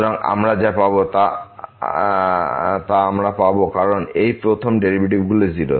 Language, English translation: Bengali, So, what we will get we will get because this first derivatives are also 0